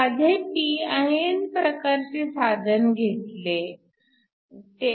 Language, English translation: Marathi, So, consider a simple pin kind of device